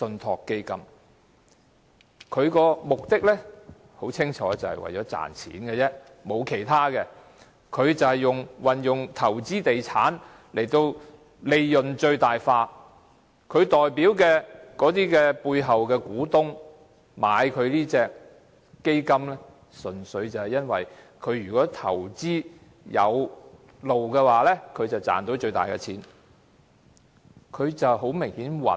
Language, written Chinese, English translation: Cantonese, 它的目的很清楚，就是為了賺錢，沒有其他目的，它運用投資地產使利潤最大化，它代表的那些在背後的股東購買這基金，純粹因為如果這基金投資有道的話，便賺到最大利潤。, Its purpose cannot be clearer that is to make profit and nothing else . It aims to maximize its profit by real estate investment . Those investors at the back whom Link REIT represents have bought this fund purely because if this fund can make sound investments they will make the biggest profit